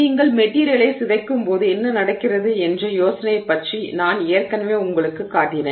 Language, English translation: Tamil, So, I already showed you something about the idea of what is happening when you deform the material